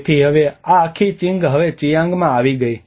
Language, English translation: Gujarati, So now this whole thing has been now into the Chiang